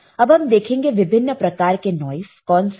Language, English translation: Hindi, So, let us see what are the type of noises